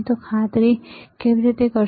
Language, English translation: Gujarati, How you make sure that